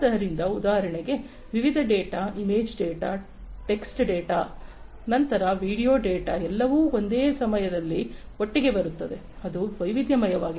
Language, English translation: Kannada, So, variety of data for example, image data, text data, then video data, all coming together at the same time, that is variety